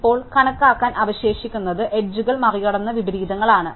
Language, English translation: Malayalam, Now, what is left to count are those inversions which cross the boundaries